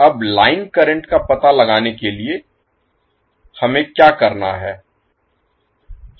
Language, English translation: Hindi, Now to find out the line current what we have to do